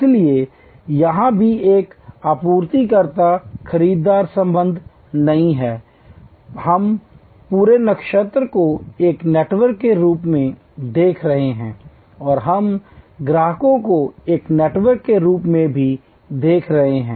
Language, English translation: Hindi, So, even here there is not a supplier buyer relationship, we are looking at the whole constellation as a network and we are looking at the customers also as a network